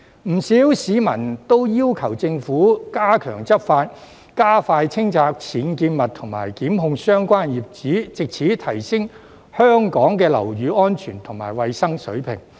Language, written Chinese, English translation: Cantonese, 不少市民都要求政府加強執法，加快清拆僭建物和檢控相關業主，藉此提升香港的樓宇安全及衞生水平。, Many members of the public have requested the Government to step up law enforcement expedite the removal of UBWs and prosecute the landlords concerned thereby raising the safety and hygiene level of the buildings in Hong Kong